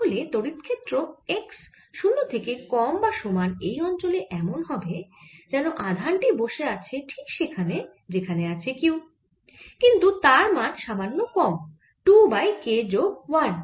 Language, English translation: Bengali, so electric field in the region for x less than or equal to zero is going to be as if the charge is sitting at the same point where q is, but it's slightly less: two over k plus one